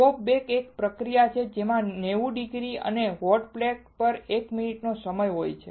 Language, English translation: Gujarati, Soft bake, is a process involving temperature of ninety degrees and time of one minute on a hot plate